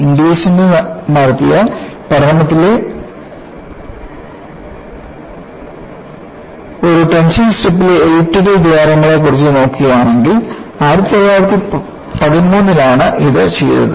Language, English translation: Malayalam, And, if you look at study of elliptical holes in a tension strip by Inglis, was done in 1913